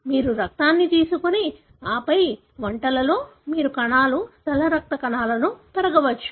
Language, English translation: Telugu, You take the blood and then add, in dishes, where you can grow the cells, the white blood cells